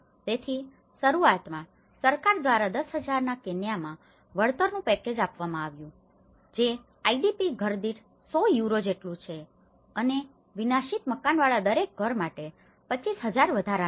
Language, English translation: Gujarati, So, initially, there is a compensation package issued by the government about in a Kenyan of 10,000 which is about 100 Euros per IDP household and an additional 25,000 for each household with a destroyed house